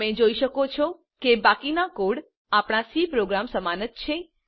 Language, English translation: Gujarati, You can see that the rest of the code is similar to our C program